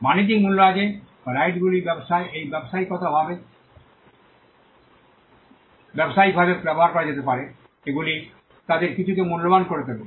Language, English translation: Bengali, There is commercial value or the fact that these rights can be used in trade and in business makes them some makes them valuable